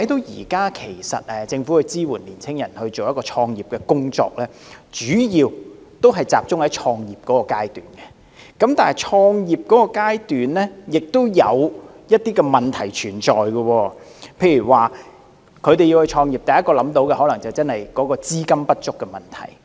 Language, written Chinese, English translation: Cantonese, 現時政府支援青年人創業的工作，主要集中在創業階段，而創業階段確有一些問題存在，例如創業遇到的第一問題可能是資金不足。, At present governments support for young people to start business mainly focuses on the early stage of business start - up . At this stage there are bound to be problems . For example the first problem encountered may be insufficient fund